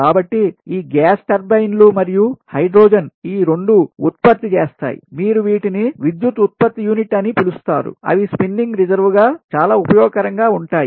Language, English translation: Telugu, so thats why gas turbines or hydro turbines, hydro generating units, they should be, you know, ah, they should be kept as spinning reserve